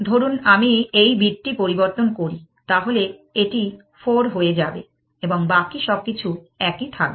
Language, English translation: Bengali, Supposing, I change this bit, this will become 4 everything else will remain the same